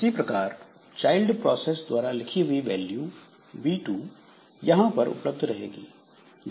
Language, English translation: Hindi, Similarly, some v2 that is written by the child, this v2 will be available here